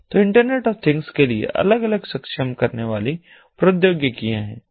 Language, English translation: Hindi, so there are different enabling technologies for internet of things